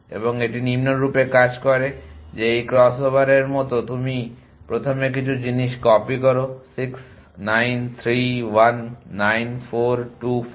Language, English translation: Bengali, And it works as follows that that like in this crossover you copy first some things 6 9 3 1 9 4 2 5